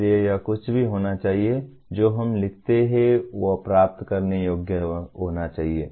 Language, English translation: Hindi, So it should be anything that we write should be achievable